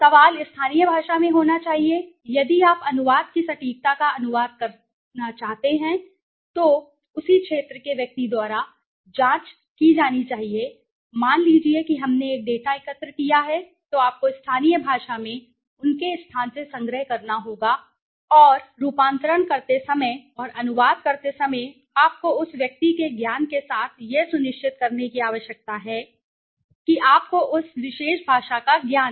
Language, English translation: Hindi, The question should be in the local language, if you want translate the accuracy of the translation should be checked by the person from the same region, suppose we have collected a data then you have to collect from their local in local language and while transforming and translating you need to be ensure it with the knowledge of the person who got the you know the knowledge of that particular language